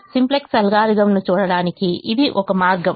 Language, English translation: Telugu, that is one way of looking at the simplex algorithm